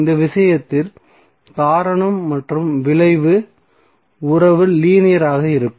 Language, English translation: Tamil, So the cause and effect will be having the relationship, which is linear in this case